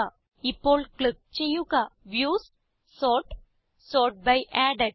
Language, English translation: Malayalam, Now, click on Views, Sort and Sort by Added